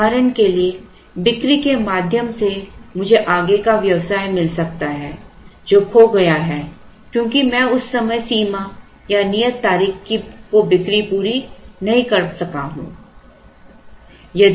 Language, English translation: Hindi, For example through the sale I might get further business which is lost because I have not met that deadline or due date